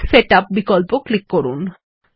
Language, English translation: Bengali, Click Page Setup option